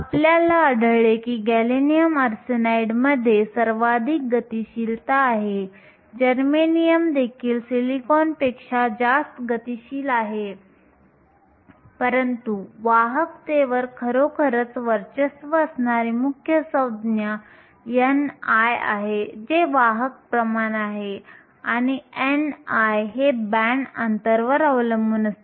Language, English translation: Marathi, We found that gallium arsenide has the highest mobility, germanium is also higher than silicon, but the main term that really dominates the conductivity is n i, which is the career concentration and n i depends upon the band gap